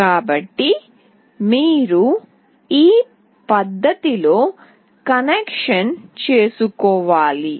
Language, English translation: Telugu, So, you have to make the connection in this fashion